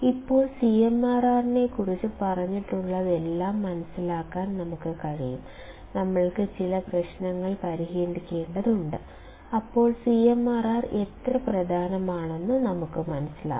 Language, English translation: Malayalam, Now, to understand whatever that has been told about CMRR; we have to solve some problems, then we will understand how CMRR important is